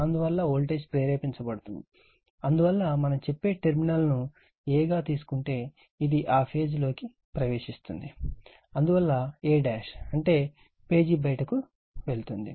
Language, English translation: Telugu, Therefore, voltage will be induced, so that is why, if we look in to that from a dash say terminal is taken as a, this is the, it is leaving if a is entering into that page, and therefore a dash is leaving the page right